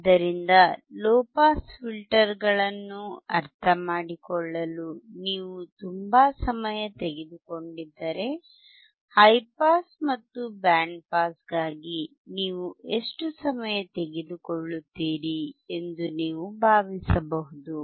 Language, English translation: Kannada, So, you assume that if you have taken so much time in understanding low pass filters how much time you will take for high pass and band pass